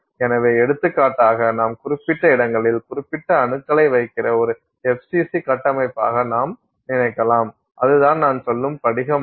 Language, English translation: Tamil, So, for example, you can think of it as an FCC structure in which you are putting specific atoms at specific location